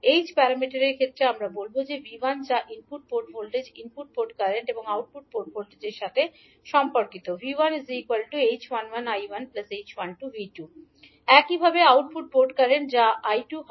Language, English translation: Bengali, In case of h parameters we will say that V1 that is the input port voltage will be related to input port current and output port voltages in terms of h11 I1 plus h12 V2